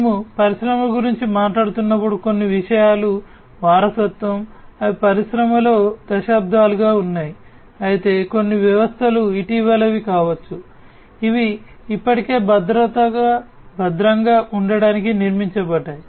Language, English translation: Telugu, So, when we are talking about industries certain things are legacy, some systems are legacy systems, which have been there for decades in the industry whereas, certain systems might be the recent ones, which are already you know, which have already been built to be secured